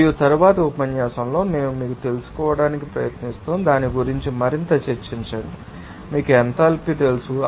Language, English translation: Telugu, And in the next lecture we will try to you know, discuss more about that, you know enthalpy